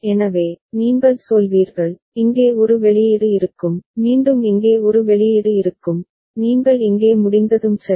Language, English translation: Tamil, So, then also you will say, here there will be one output, again here there will be one output, when you are over here ok